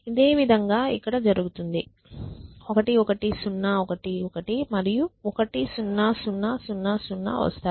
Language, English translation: Telugu, And similar thing will happen here 1 1 0 1 1 and 1 0 0 0 0